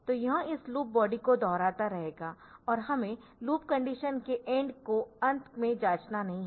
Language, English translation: Hindi, So, it will be repeating this loop body and we do not have to check this the end of loop condition at the end